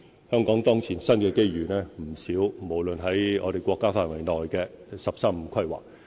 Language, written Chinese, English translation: Cantonese, 香港當前新機遇不少，包括在我們國家範圍內的"十三五"規劃。, Currently there are many new opportunities for Hong Kong including the National 13 Five - Year Plan